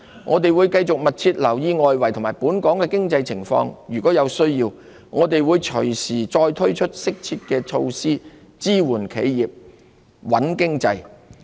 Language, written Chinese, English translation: Cantonese, 我們會繼續密切留意外圍及本港的經濟情況，如有需要，我們會隨時再推出適切的措施，支援企業、穩經濟。, We will keep a close watch on the external and local economic situation and introduce appropriate measures when necessary to support enterprises and stabilize the economy